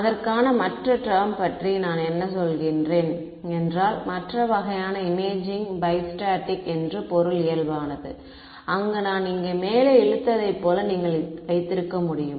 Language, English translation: Tamil, The other term for it is I mean the other kind of imaging modality is bi static where you can have like I drew above over here